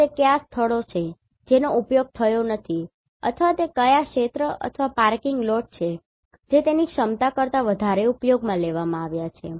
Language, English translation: Gujarati, And what are the places which are not utilized or which are the areas or parking lots which have been utilized more than its capacity